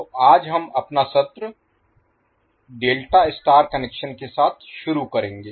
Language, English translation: Hindi, So today, we will start our session with delta star connection